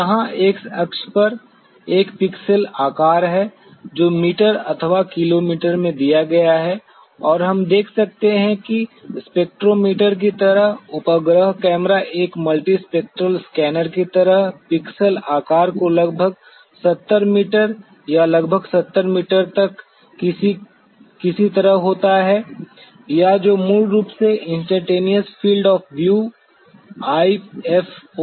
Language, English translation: Hindi, So, here on the x axis is a pixel size which is given in meter/kilometer and we could see that satellite camera like spectrometer like a multispectral scanner having some kind of around 70 meter by 70 meter of the pixel size or what is basically essentially known as the Instantaneous Field Of View – IFOV